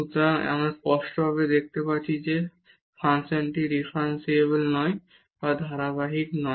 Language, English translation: Bengali, So, we can clearly see then the function is not differentiable or is not continuous